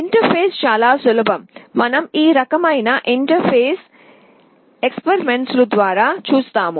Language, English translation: Telugu, The interface is very simple, we shall be seeing this kind of interfacing experiments later